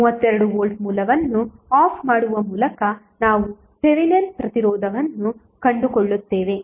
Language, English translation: Kannada, We find the Thevenin resistance by turning off the 32 volt source